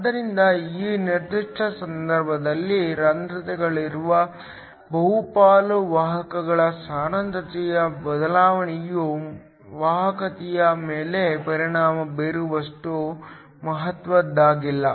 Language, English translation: Kannada, So, that in this particular case, the change in concentration of the majority carriers which are holes is not significant enough to affect the conductivity